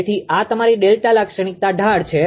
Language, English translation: Gujarati, So, this is your ah delta slope characteristic